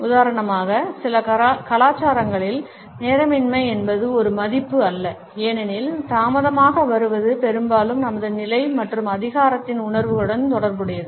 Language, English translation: Tamil, In certain cultures for example, punctuality is not exactly a value because late coming is often associated with our status and perceptions of power